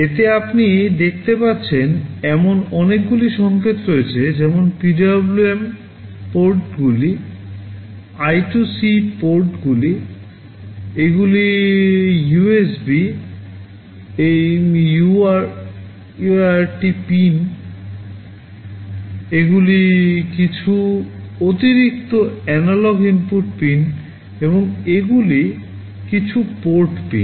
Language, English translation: Bengali, This contains many signals as you can see, like PWM ports, I2C ports, these are USB, UART pins, these are some additional analog input pins, and these are some port pins